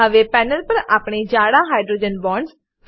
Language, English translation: Gujarati, Now on the panel we can see thicker hydrogen bonds